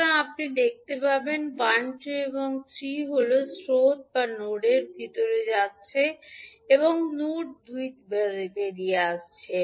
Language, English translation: Bengali, So, you will see 1, 2 and 3 are the currents which are going inside the node and 2 are coming out of the node